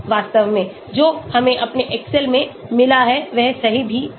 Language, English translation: Hindi, In fact, that is what we got in our excel also right